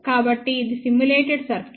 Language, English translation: Telugu, So, this is the simulated circuit